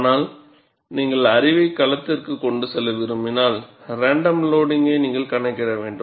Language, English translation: Tamil, But if you want to take the knowledge to the field, you will have to account for random loading